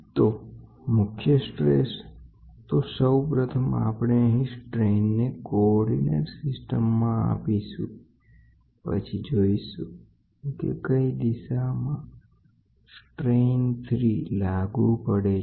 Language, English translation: Gujarati, So, let me drop first the strains given in coordinates system and then, we will see where does this one direction strain once strain 3 comes